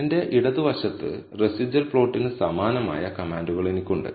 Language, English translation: Malayalam, On my left, I have the same commands for the residual plot